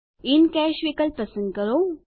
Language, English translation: Gujarati, Lets select the In Cash option